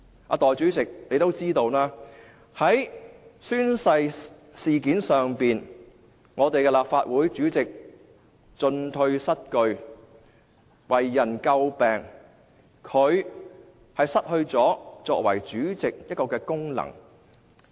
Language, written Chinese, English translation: Cantonese, 代理主席也知道，在宣誓事件上，立法會主席進退失據，做法為人詬病，他失去了作為主席的功能。, Deputy President as you may be aware the President of the Legislative Council was at a loss in the oath - taking incident . His decisions were criticized and he has lost his function as President